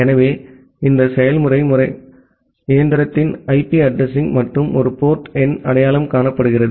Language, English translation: Tamil, So, these process system are identified the IP address of the machine plus a port number